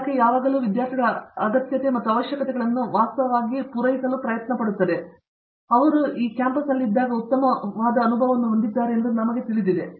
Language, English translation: Kannada, The department always has actually accommodated the individual student needs and requirements and you know matured that they have a good experience while they are here